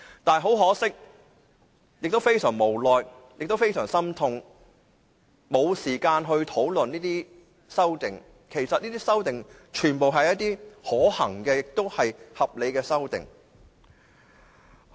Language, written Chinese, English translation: Cantonese, 但是，很可惜，亦感到非常無奈和心痛，我們沒有時間討論這些修正案，其實這些修正案全部是可行和合理的。, It is however very unfortunate that we have no time to discuss these amendments which I also feel helpless and distressed . In fact these amendments are all feasible and reasonable